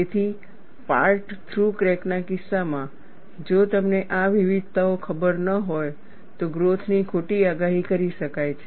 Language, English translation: Gujarati, So, in the case of a part through crack, if you do not know these variations, the growth could be wrongly predicted